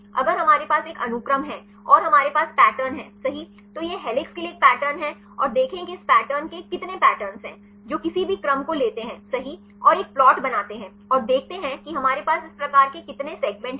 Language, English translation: Hindi, If we have a sequence and we have the pattern right this is a pattern for the helix and see how many pattern the segments which has this pattern right take any sequence and make a plot and see how many segments we have this type of patterns